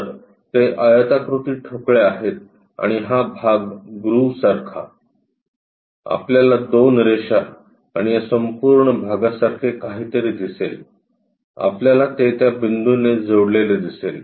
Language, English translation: Marathi, So, those rectangular blocks are that and this portion like a groove, we will see something like two lines and this entire part, we see it like connected by that point